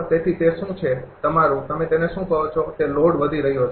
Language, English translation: Gujarati, So, that is what your, what you call that load is increasing